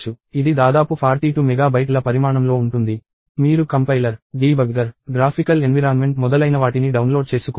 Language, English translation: Telugu, It is roughly about 42 mega bytes in size; you need to download the compiler, the debugger, the graphical environment and so on